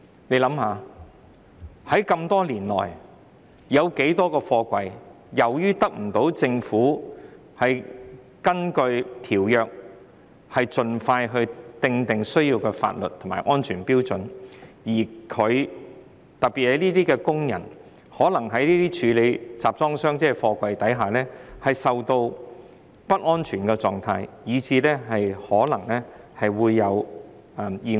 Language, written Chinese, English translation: Cantonese, 大家試想想，這麼多年來有多少個貨櫃是基於政府未能根據《公約》盡快訂定所需的法律和安全標準，而導致工人在處理貨櫃時處於不安全的境況，甚至可能發生意外？, Can you imagine over the years how many workers have been working in an unsafe environment or exposed to accident risks because of the failure of the Government to expeditiously introduce the required laws and safety standards to the containers in accordance with the Convention?